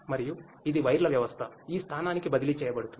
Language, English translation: Telugu, And it is transferred to the system of wires to this location